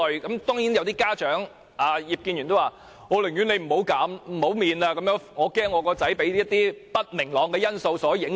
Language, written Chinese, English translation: Cantonese, 當然有些家長及葉建源議員也說，寧願不減免考試費，因為擔心兒子被不明朗的因素所影響。, Certainly some parents prefer not to waive the examination fees for fear that their children may be affected by the uncertainties involved